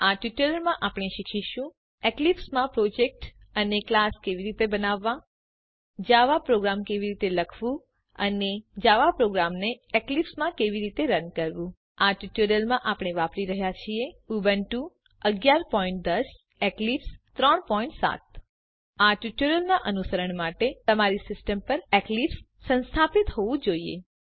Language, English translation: Gujarati, In this tutorial we are going to learn How to Create a project and add a class in Eclipse How to write java program and How to run a java program in Eclipse For this tutorial we are using: Ubuntu 11.10, Eclipse 3.7 To follow this tutorial you must have Eclipse installed on your system